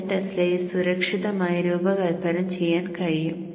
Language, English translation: Malayalam, 3 Tesla and you can safely design at 0